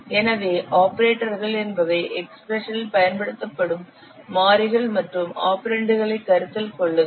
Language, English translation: Tamil, So what variables and constants you are using in the expressions they are treated as operands